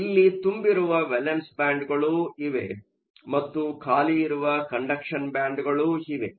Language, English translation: Kannada, You have a valence band that is full, and you have a conduction band that is empty